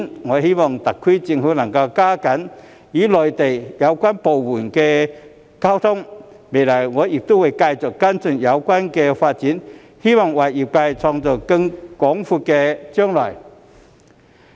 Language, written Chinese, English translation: Cantonese, 我希望特區政府能加緊與內地有關部門溝通，未來我亦會繼續跟進有關發展，希望為業界創造更廣闊的將來。, I hope the SAR Government can step up its communication with the relevant Mainland departments . In the future I will continue to follow up the relevant development in the hope of creating a broader future for the industry